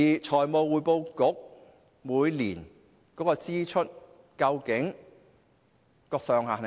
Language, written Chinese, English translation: Cantonese, 財務匯報局每年的支出上限究竟是多少？, What is the annual expenditure ceiling of FRC?